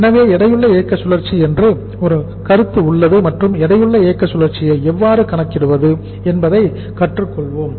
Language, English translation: Tamil, So there is a concept of the weighted operating cycle and we will learn how to calculate the weighted operating cycle